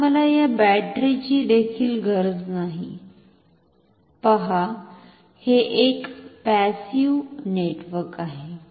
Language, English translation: Marathi, Now, I do not even need this battery, see this is a passive network even